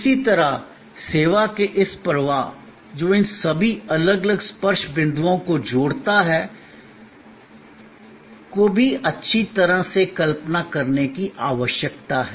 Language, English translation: Hindi, Similarly, this flow of service, which links all these different touch points, also needs to be well visualized